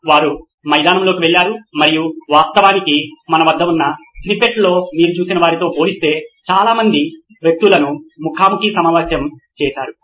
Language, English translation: Telugu, They went on field and actually interviewed a lot lot number of people compared to the ones that you probably saw on the snippet that we had